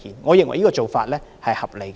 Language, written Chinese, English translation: Cantonese, 我認為這個做法合理。, I think this is a reasonable approach